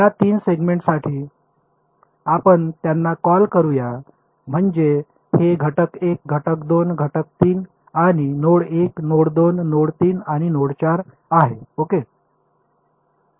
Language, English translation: Marathi, For these 3 segments let us so what are what will call them is this is element 1, element 2, element 3 and this is node 1, node 2, node 3 and node 4 ok